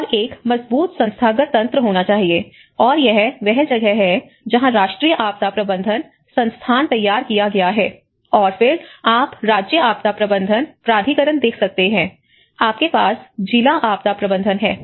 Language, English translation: Hindi, And there should be a strong institutional network, and that is where the National Institute of Disaster Management has been formulated and then you can see the State Disaster Management Authority, you have the District Disaster Management